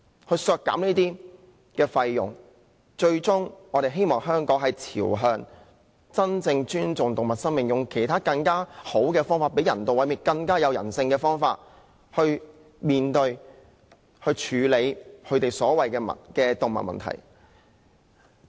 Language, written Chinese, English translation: Cantonese, 我們削減開支，是希望香港最終朝向真正尊重動物生命的方向，用更好、更有人性的方法處理所謂的動物問題。, We proposed to reduce the expenditure in the hope that Hong Kong will eventually respect the lives of animals and better handle the so - called animal problem more humanely